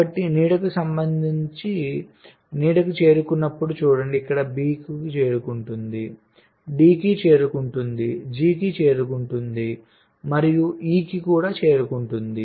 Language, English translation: Telugu, so with respect to the shadow, see as shadow reaches where, reaches b, reaches d, reaches g and reaches e